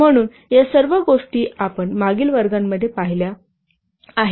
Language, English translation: Marathi, So all these things we have seen in the previous classes